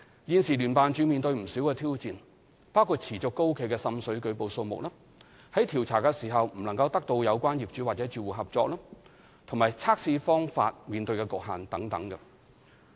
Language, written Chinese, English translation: Cantonese, 現時聯辦處面對不少挑戰，包括持續高企的滲水舉報數目、在調查時未能得到有關業主或住戶合作，以及測試方法的局限性等。, JO is now facing many challenges including the high number of water seepage reports difficulties in gaining entry into premises for investigation as well as the limitations imposed by the tests